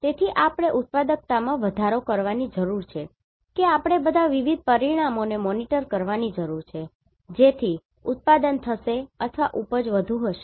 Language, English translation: Gujarati, So, we need to increase the productivity we need to monitor all different parameters so that the production will be or yield will be more